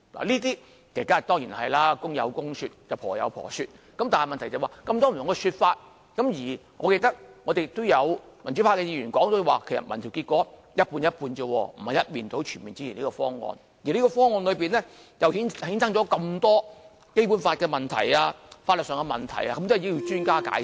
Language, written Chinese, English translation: Cantonese, 這當然是公有公說理，婆有婆說理，但問題是這麼多不同的說法，而我記得民主派議員也說民調結果也只是一半一半，並非一面倒全面支持這方案，而方案又衍生這麼多《基本法》的問題和法律上的問題，都需要專家解釋。, But the problem is the presence of so many conflicting views in society . I remember Members from the Democratic Party once said that the outcome of their survey indicated a 50 % split of opinions in the community rather than an overwhelming support for the current proposal which has aroused so many queries relating to the Basic Law and other legal issues . In fact we need some answers from the experts